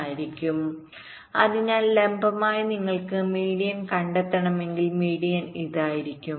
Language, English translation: Malayalam, so, vertically, if you you want to find out the median, the median will be this